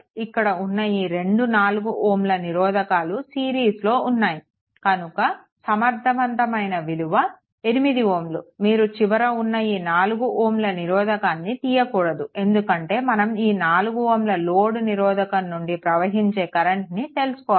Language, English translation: Telugu, All the 4 and this 4 and this 4, both are in series, so effective will be 8 ohm, but you cannot you cannot remove this 4 ohm because you have to find out the current through this load resistance 4 ohm right